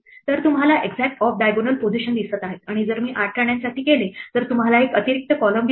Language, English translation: Marathi, So, you see exactly the kind of off diagonal positions and if I do for 8 queens then you see there is an extra column